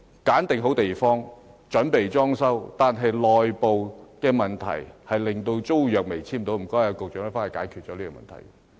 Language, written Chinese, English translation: Cantonese, 選址已定，準備裝修，卻因政府內部問題，令租約未能簽訂，麻煩局長快速解決這問題。, The site is selected and renovation is about to start; yet the tenancy agreement cannot be signed due to the internal problems of the Government . Will the Secretary please solve this problem expeditiously